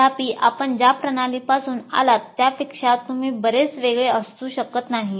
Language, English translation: Marathi, After all, you can't be very much different from the system from which they have come